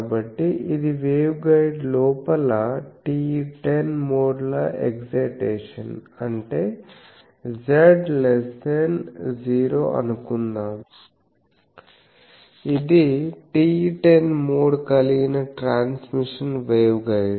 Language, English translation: Telugu, So, this is a TE10 modes excitation inside the waveguide; that means, suppose from z less than 0, the it was a transmission waveguide having TE10 mode